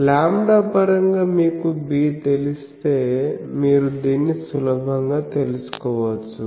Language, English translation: Telugu, So, if you know b in terms of lambda, you can easily find out this